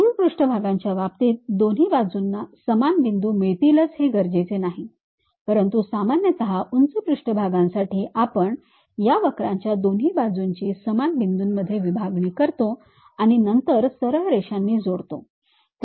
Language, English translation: Marathi, In the case of ruled surfaces, it is not necessary that you will have equal number of points on both the sides, but usually for lofter surfaces you divide it equal number of points on both sides of this curve as and joined by straight lines